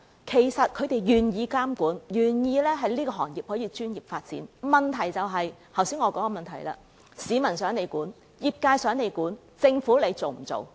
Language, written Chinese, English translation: Cantonese, 其實，他們是願意接受監管，更願意行業可以作專業發展的，問題在於我剛才所指出之處，就是市民想政府監管、業界想政府監管，那政府做不做呢？, In fact they welcome regulation and they hope the industry can pursue professional development . The public hopes that the Government can impose regulation the industry wishes for regulation from the Government so the question remains whether or not the Government will do so